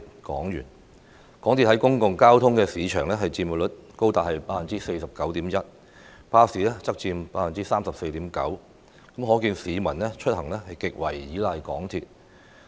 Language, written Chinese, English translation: Cantonese, 港鐵公司在公共交通市場的佔有率高達 49.1%， 巴士則佔 34.9%， 可見市民出行極為依賴港鐵。, MTRCLs share of the public transport market was 49.1 % compared to 34.9 % for buses . It is evident therefore that members of the public rely heavily on MTR for transport